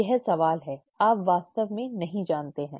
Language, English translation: Hindi, That is the question, you do not really know